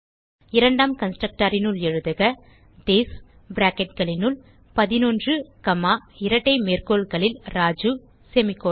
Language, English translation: Tamil, Inside the second constructor type this within brackets 11 comma within double quotes Raju semicolon